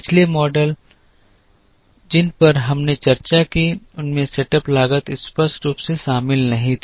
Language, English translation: Hindi, Previous models that we discussed did not include setup cost explicitly